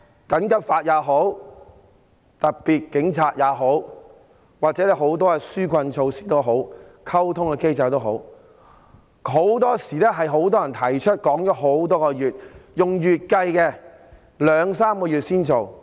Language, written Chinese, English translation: Cantonese, 緊急法也好，特務警察也好，又或很多紓困措施、溝通機制也好，很多時候是很多人提出多時，然後要兩三個月後才實施。, Whether it be the emergency law special constables or the many helping measures and the communication mechanism it is often the case that a proposal had been put forward for a long time before it could be put into practice only a couple of months later